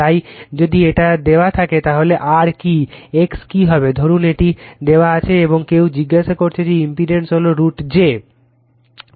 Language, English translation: Bengali, So, if it is given then what is r what is x suppose this is given and somebody ask you that the impedance is root over j